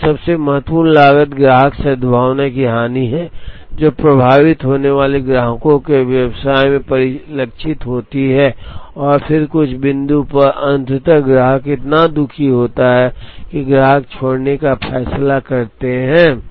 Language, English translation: Hindi, The second and the most important cost is the loss of customer goodwill, which gets reflected in the customers business being affected and then at some point eventually, the customer is so unhappy, that the customer decides to leave